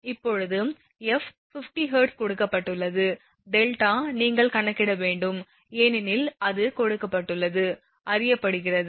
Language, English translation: Tamil, Now, f is given 50 hertz delta you have to compute because it is given delta is known